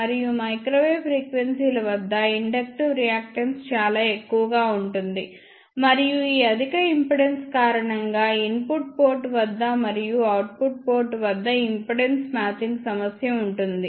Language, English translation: Telugu, And at microwave frequencies inductive reactance is very high and because of this high impedance, there will be impedance matching problem at input port as well as at output port